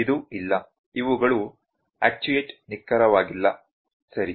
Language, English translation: Kannada, This is not there these are actuate not précised, ok